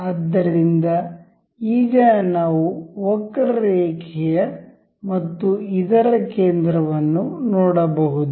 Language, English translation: Kannada, So, now we can see the curve and the center of this